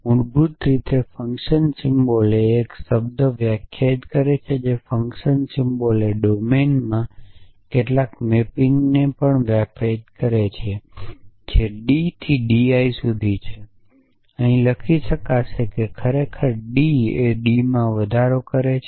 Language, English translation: Gujarati, Basically a function symbol defines a term a function symbol also defines some mapping in the domine which is from D raise to D I could have written here actually D raise in to D it is a mapping from D raise in to D